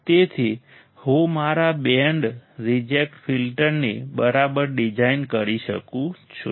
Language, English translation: Gujarati, So, I can easily design my band reject filter alright